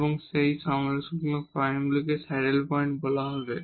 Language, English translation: Bengali, So, these are the points called saddle points